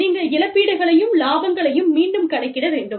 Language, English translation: Tamil, You are need to recalculate, benefits and compensation